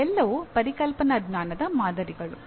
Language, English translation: Kannada, They are all samples of conceptual knowledge